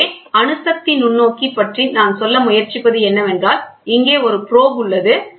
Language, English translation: Tamil, So, atomic force microscope what we are trying to say is, here is a probe